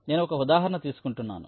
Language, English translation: Telugu, so i am taking an example